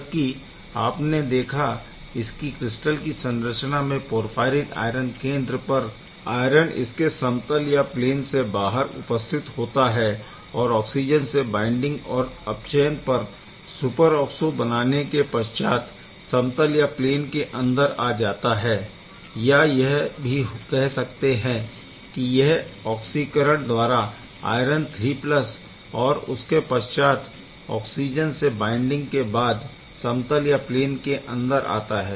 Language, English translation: Hindi, Well, despite having that let us see this is a porphyrin iron center as you have seen this crystal structure before iron is sitting outside, because this is not in the plane yet it gets inside the plane only upon oxygen binding and then reduction to the superoxo ok, it is only gets into the plane only upon oxidation to iron III + and binding with oxygen